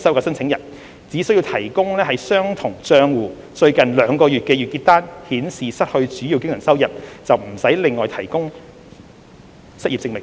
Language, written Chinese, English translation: Cantonese, 申請人只需提供相同帳戶最近兩個月的月結單，顯示失去主要經常收入，便無須另外提供失業證明。, The applicant needs only to provide monthly statements of the same account for the last two months to show the loss of the main source of income without the need to provide any other unemployment proof